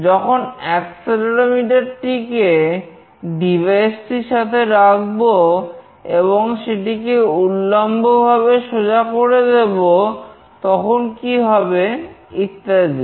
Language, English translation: Bengali, When I put accelerometer along with a device, and we make it vertically straight, then what changes happen, and so on